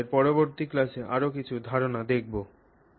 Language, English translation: Bengali, We will look at some other concepts in our subsequent classes